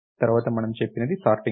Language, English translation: Telugu, Just like what is sorting